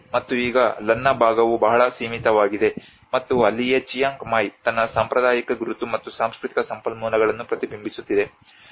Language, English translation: Kannada, And now the Lanna part has been very limited, and that is where the Chiang Mai which is still reflecting its traditional identity and the cultural resources